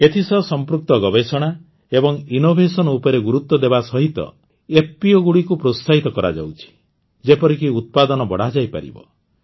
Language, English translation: Odia, Along with focusing on research and innovation related to this, FPOs are being encouraged, so that, production can be increased